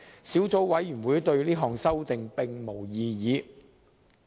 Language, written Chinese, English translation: Cantonese, 小組委員會對這項修訂並無異議。, The Subcommittee raises no objection to the amendment